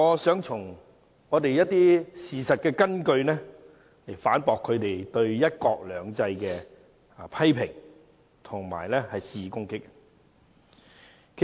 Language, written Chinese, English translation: Cantonese, 因此，我想從事實根據反駁他們對"一國兩制"的批評和肆意攻擊。, Therefore I would like to refute their criticisms and vicious attacks on one country two systems with facts